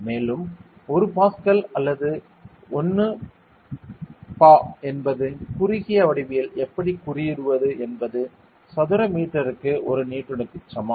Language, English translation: Tamil, And 1 Pascal over 1 Pa that is how we denote it in short form is equal to 1 Newton per meter squared ok